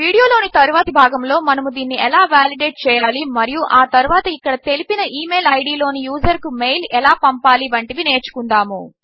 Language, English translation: Telugu, In the next part of this video we will learn how to validate this and eventually send this mail to the user specified in this email id here